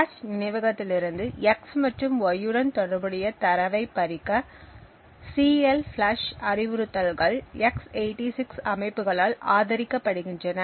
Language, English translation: Tamil, The CLFLUSH instructions is supported by x86 systems to flush the data corresponding to x and y from the cache memory